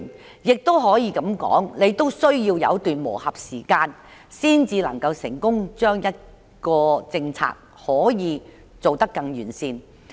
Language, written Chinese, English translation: Cantonese, 當然，每項新政策都需要一段磨合期，才可以成功做得完善。, Of course every new policy needs a period of integration before perfection can be attained